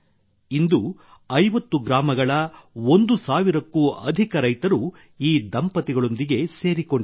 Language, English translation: Kannada, Today more than 1000 farmers from 50 villages are associated with this couple